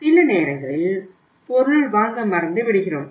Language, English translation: Tamil, Sometime we forget purchase